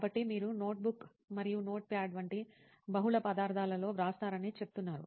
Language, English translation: Telugu, So you are saying you write in multiple materials like notebook and notepad